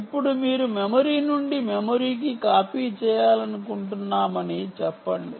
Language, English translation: Telugu, now let us say you want to do a memory to memory copy